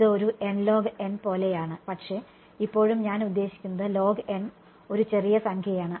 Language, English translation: Malayalam, n or n log n it is more like n log n ok, but still I mean log n is a small number